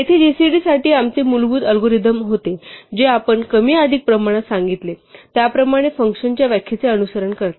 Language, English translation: Marathi, Here was our basic algorithm for gcd, which as we said more or less follows the definition of the function